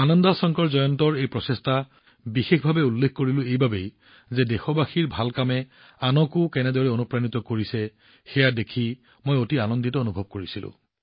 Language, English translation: Assamese, I specifically mentioned this effort of Ananda Shankar Jayant because I felt very happy to see how the good deeds of the countrymen are inspiring others too